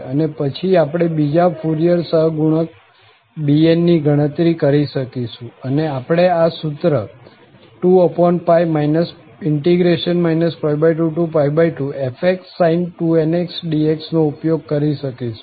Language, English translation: Gujarati, Then, we can compute the other Fourier coefficients, so, bn and we can use this formula 2 over pi minus pi by 2 to pi by 2 f sin 2nx dx